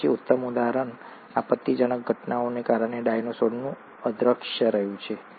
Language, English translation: Gujarati, And then the classic example has been the disappearance of dinosaurs because of catastrophic events